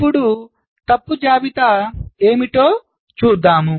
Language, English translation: Telugu, lets see what is the fault list